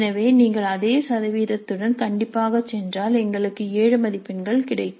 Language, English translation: Tamil, So if you go strictly by the same percentage then we get 7 marks